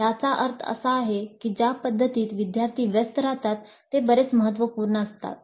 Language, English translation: Marathi, That means the practice in which the students engage is quite substantial